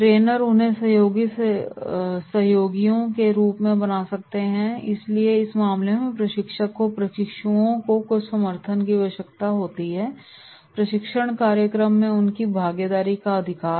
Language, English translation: Hindi, Trainer can make them trusted allies so therefore in the case the trainer requires some support from the trainees, right to conduct the training program their participation